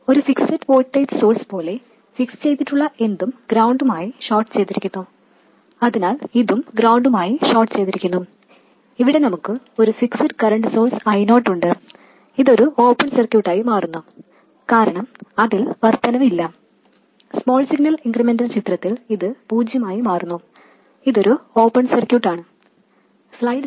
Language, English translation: Malayalam, As you know, anything that is fixed such as a fixed voltage source that is shorter to ground so this will get shorter to ground and here we have a fixed current source I 0 and this becomes an open circuit because there is no increment in that it becomes zero in the small signal incremental picture this is an open circuit